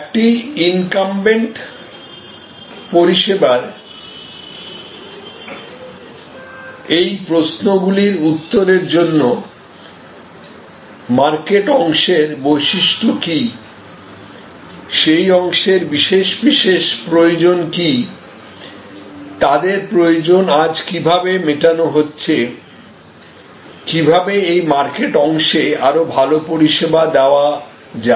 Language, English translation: Bengali, So, to answer these questions for an incumbent service, that what are the characteristics of the addressed market segments, what needs are special to those market segments, how are those needs being met today and how they can be served better, how those market segments can be served better